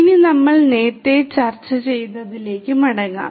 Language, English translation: Malayalam, Now, let us go back to what we were discussing earlier